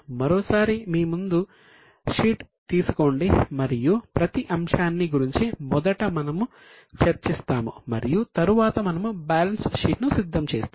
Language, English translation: Telugu, Once again take the sheet in front of you and each and every item we will discuss first and then we will actually prepare the balance sheet